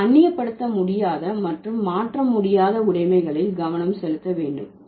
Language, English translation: Tamil, So, we have to focus on the alienable and the inalienable possessions over here